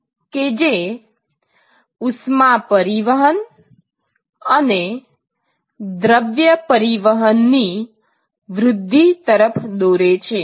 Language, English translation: Gujarati, And that is going to enhance the heat transport or mass transport